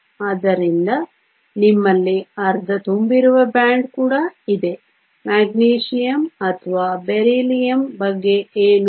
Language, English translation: Kannada, So, you also have a band that is half full what about Magnesium or Beryllium